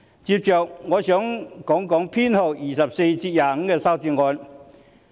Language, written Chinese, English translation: Cantonese, 接着，我想談修正案編號24及25。, Next I will talk about Amendment Nos . 24 and 25